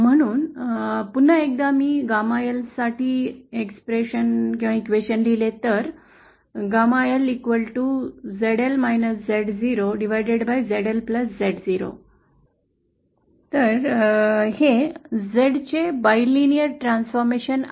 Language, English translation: Marathi, So once again if I write the question for gamma LÉ This is a bilinear transformation of Z